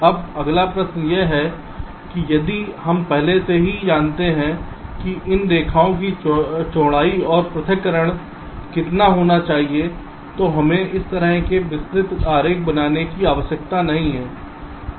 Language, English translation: Hindi, now the next question is: if we already know how much should be the width and the separation of these lines, then we need not require to draw such elaborate diagram